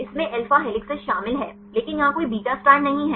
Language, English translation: Hindi, So, one contains mainly alpha helices and the second class contains only beta strands